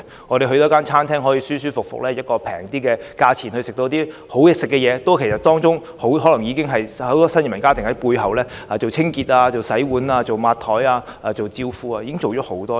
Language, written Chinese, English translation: Cantonese, 我們可以在某餐廳舒舒服服地以較為便宜的價錢享受美味的食物，也可能是因為有很多新移民家庭在背後擔任清潔、洗碗、抹桌子和招呼客人的工作。, When we can comfortably enjoy a delicious meal in a restaurant at a relatively cheap price we should bear in mind that this is perhaps made possible by many new immigrants who have taken up such posts as cleaning workers dishwashing workers helpers and waiters in the restaurant